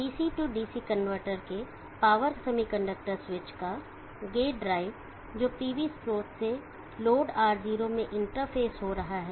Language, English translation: Hindi, Gate drive of the power semiconductor switches of the DC DC convertor which is interfacing the PV source to the load or not